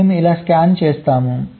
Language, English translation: Telugu, we are scanning in